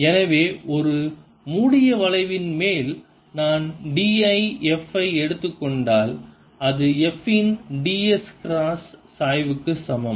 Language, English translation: Tamil, so over a closed curve, if i take d l f, it is equal to d s cross gradient of f